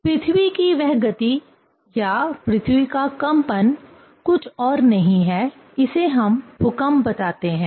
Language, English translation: Hindi, So, that moment of the earth or vibration of the earth that is nothing, but we tell the earthquake